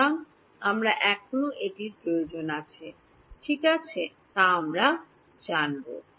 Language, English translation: Bengali, So, we will deal with whether we still need that or not ok